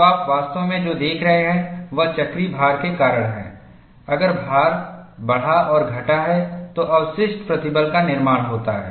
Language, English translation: Hindi, So, what you are really looking at is, because of cyclical loading, if the load is increased and decreased, there is residual stress formation